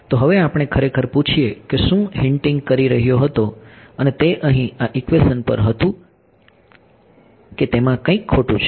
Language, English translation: Gujarati, So, now let us let us actually ask I mean what I was hinting and that was at this equation over here that is something wrong with it ok